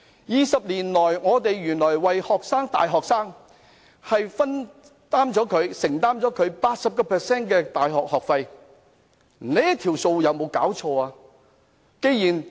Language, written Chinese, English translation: Cantonese, 二十年來，原來 UGC 為大學生承擔了 80% 的大學學費，真是有沒有"搞錯"？, For 20 years UGC has borne 80 % of the tuition fees of all university students . What has gone wrong?